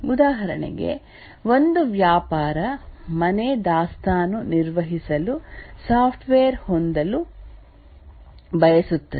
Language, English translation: Kannada, For example, a business house wants to have a software to manage the inventory